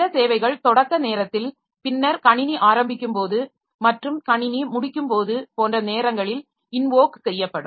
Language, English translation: Tamil, Some services they will be invoked at the start of time and then maybe when the system is getting up and when the system is getting down like that